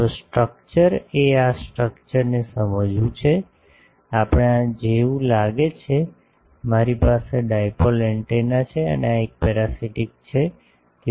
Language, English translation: Gujarati, So, the structure is to understand this structurelet us look like this suppose, I have a dipole antenna and this is a parasitic one